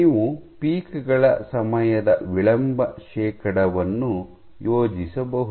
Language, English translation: Kannada, So, you can plot time delay percentage of peaks